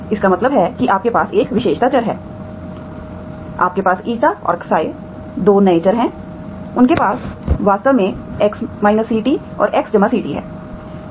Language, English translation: Hindi, That means you have a characteristic variable, you have Eta and xi, Eta and xi are 2 new variables, they have, then actually X minus CT and X plus CT